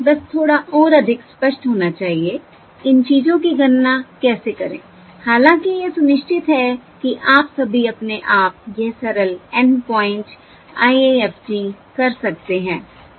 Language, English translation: Hindi, Just to be a little bit more explicit, to illustrate how to compute these things although, um, I am sure that all of you could do this simple 4 point IIFT yourself just expressively illustrate the process